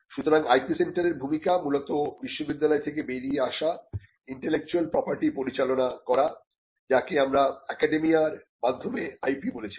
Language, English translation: Bengali, So, the role of the IP centre largely covers managing intellectual property, intellectual property that comes out of the university what we called at the IP by the academia